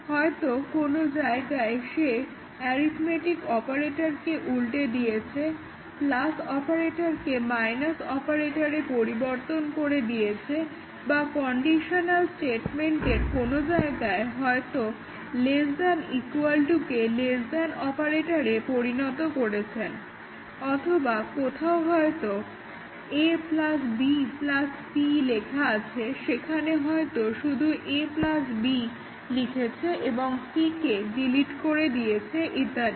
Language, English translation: Bengali, May be, in some places he has flipped an arithmetic operator, plus operator into a minus operator or somewhere in the conditional statement, might have made a less than equal to into a less than operator or may be somewhere where it is written a plus b plus c, he might have written only a plus b and deleted c and so on